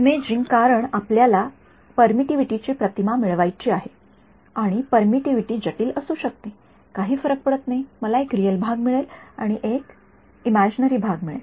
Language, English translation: Marathi, Imaging because we want to get an image of permittivity and permittivity may be complex does not matter, I will get a real part and I will get an imaginary part